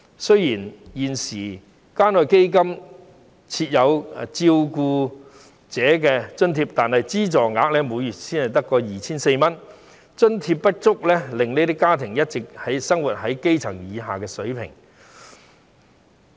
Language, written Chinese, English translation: Cantonese, 雖然現時關愛基金設有照顧者津貼，但資助額每月只有 2,400 元，津貼不足，令這些家庭一直生活在基本水平以下。, Although some carers can receive a living allowance from the Community Care Fund at present the amount of allowance is only 2,400 per month . Due to the low level of allowance these families have been living under the basic living level